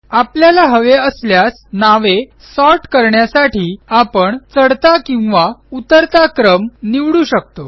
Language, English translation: Marathi, We can also choose if we want to sort the names in ascending or descending order